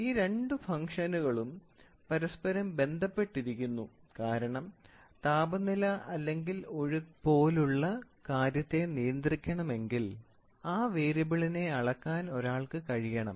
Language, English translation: Malayalam, So, these two functions are closely related because one must be able to measure a variable such as temperature or flow in order to control it